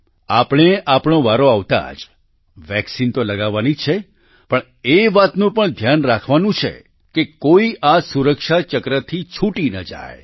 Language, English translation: Gujarati, We have to get the vaccine administered when our turn comes, but we also have to take care that no one is left out of this circle of safety